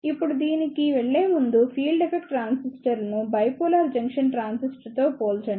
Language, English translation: Telugu, Now, before going into these, the let us compare the field effect transistors with the bipolar junction transistor